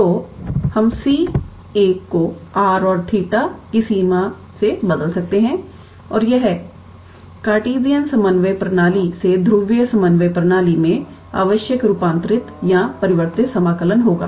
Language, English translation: Hindi, So, we can replace the c 1 by the limits of r and theta and this is the required transformed or changed integral from Cartesian coordinate system to polar coordinate system